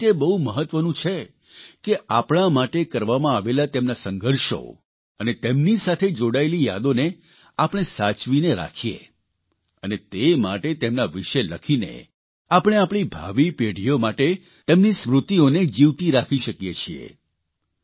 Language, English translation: Gujarati, Hence it is very important that we preserve the saga of their struggles for our sake and their memories and for this we can write about them to keep their memories alive for generations to come